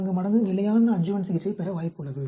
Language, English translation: Tamil, 44 times more likely to receive standard adjuvant therapy than man